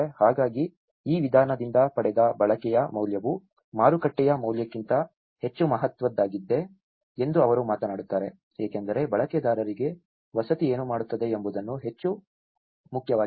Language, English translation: Kannada, So, that is where he talks about the use value derived from this approach was more significant than the market value, as what housing does for the user is more important than what it is